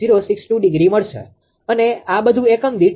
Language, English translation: Gujarati, 062 degree right, in per this are all per unit